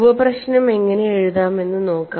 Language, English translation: Malayalam, Let us see how the sub problem can be written